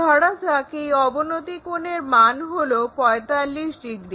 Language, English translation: Bengali, So, perhaps the inclination angle 40 degrees